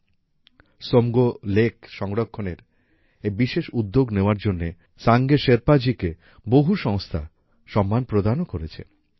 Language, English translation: Bengali, Sange Sherpa has also been honored by many organizations for this unique effort to conserve Tsomgo Somgo lake